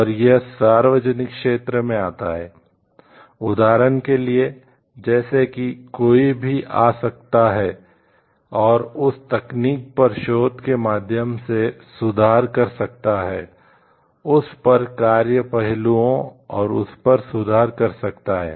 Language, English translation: Hindi, And it becomes comes in the public domain, where like, anybody can come and like improve through research on that technology, on that the functioning aspects and improve on it